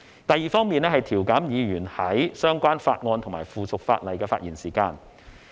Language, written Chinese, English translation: Cantonese, 第二方面，是調減議員在相關法案和附屬法例的發言時間。, The second aspect is about reducing the speaking time of Members in considering bills and subsidiary legislation